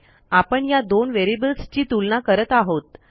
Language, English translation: Marathi, We are comparing these variables